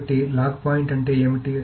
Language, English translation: Telugu, So, what is the lock point